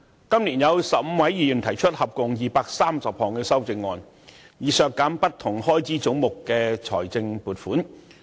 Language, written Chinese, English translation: Cantonese, 今年有15位議員提出合共230項修正案，以削減不同開支總目的財政撥款。, This year 15 Members put forth a total of 230 amendments to reduce funding proposals under various heads